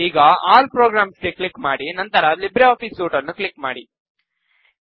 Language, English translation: Kannada, Click on All Programs, and then click on LibreOffice Suite